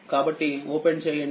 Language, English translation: Telugu, So, this is open